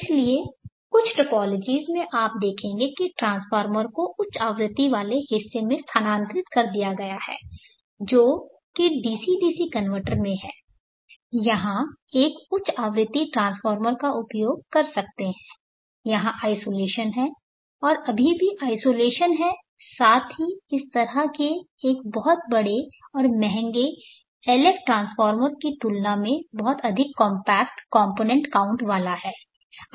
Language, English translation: Hindi, So therefore, in some of the topologies you will see that the transformer has been shifted to the high frequency portion that is in the DC DC converter one can use a high frequency transformer here isolation here, and still how isolation along with a much more compact component count compared to this kind of a very heavy big and expensive LF transformer